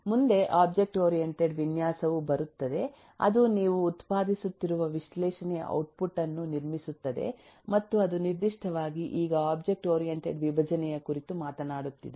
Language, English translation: Kannada, next comes the object oriented design, which builds up on the analysis output that you are generating and eh its specifically now talks of object oriented decomposition